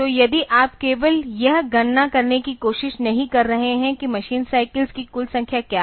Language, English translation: Hindi, So, if you are not just trying to compute what is the total number of machine cycles needed